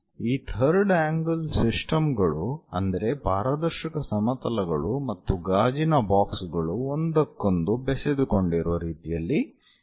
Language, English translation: Kannada, So, in this third angle system is more like transparent planes and glass boxes are intermingled with each other